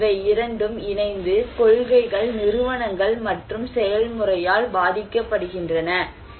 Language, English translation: Tamil, And then these two combined are vice versa influenced by the policies, institutions and the process